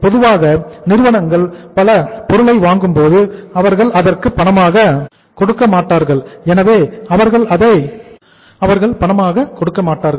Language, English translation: Tamil, Normally companies purchase the raw material, they do not pay in cash for the purchase of raw material